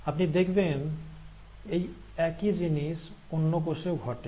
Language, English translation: Bengali, So, you find, same thing happens with the other cell